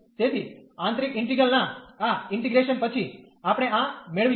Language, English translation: Gujarati, So, after this integration of the inner integral, we will get this